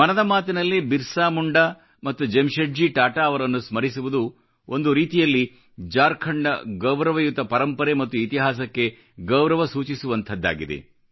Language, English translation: Kannada, Paying tributes to BirsaMunda and Jamsetji Tata is, in a way, salutation to the glorious legacy and history of Jharkhand